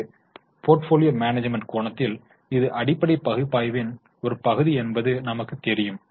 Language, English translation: Tamil, We saw that from a portfolio management angle, this is a part of fundamental analysis